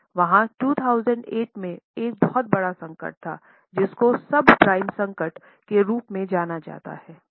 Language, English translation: Hindi, There was a very big crisis in 2008 known as subprime crisis